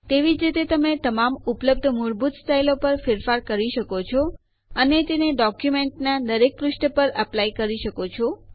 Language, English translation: Gujarati, Likewise you can do modifications on all the available default styles and apply them on each page of the document